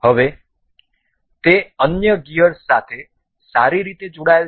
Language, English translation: Gujarati, Now, it is well linked with the other gears